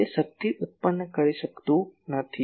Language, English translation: Gujarati, It cannot produce power